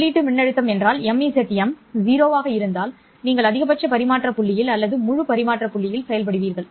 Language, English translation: Tamil, If the input voltage to the MZM is 0, you will be operating in the maximum transmission point or full transmission point